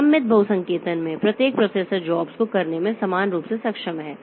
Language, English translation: Hindi, In symmetric multiprocessing each processor is equally capable of doing the jobs